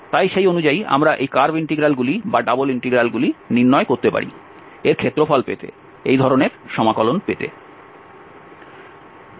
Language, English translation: Bengali, So accordingly, we can either perform this curve integral or the double integral to get the area of the, to get this such integral